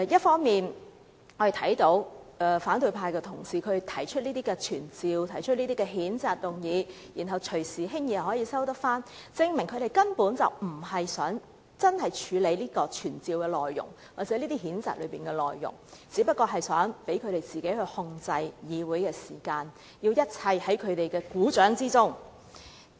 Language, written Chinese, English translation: Cantonese, 反對派的同事提出傳召或譴責議案後，既然可以隨時輕易撤回，證明他們根本無意處理傳召或譴責議案的內容，而只是想讓自己操控議會的時間，令一切在他們股掌之中。, If opposition Members can at any time easily withdraw the censuring and summoning motions it follows that they have no intention whatsoever to deal with the essence of such motions . Rather they only want to manipulate the Councils time so as to bring everything under their control